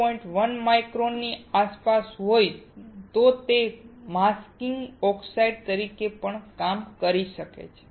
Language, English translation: Gujarati, 1 micron, it can also work as a masking oxide